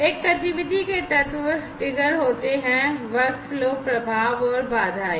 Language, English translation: Hindi, The elements of an activity are triggered, workflow, effects and constraints